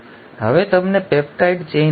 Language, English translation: Gujarati, Now you have got a peptide chain